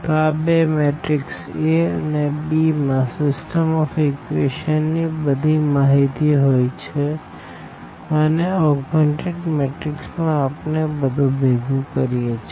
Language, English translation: Gujarati, So, these two the matrix A and the matrix b basically have all the information of the given system of equations and what we do in the augmented matrix we basically collect this a here